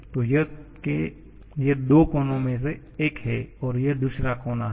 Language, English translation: Hindi, So, this is one of the corner and this is the other corner